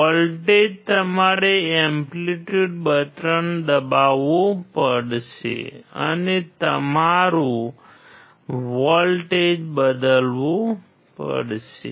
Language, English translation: Gujarati, Voltage you have to press the amplitude button and then change your voltage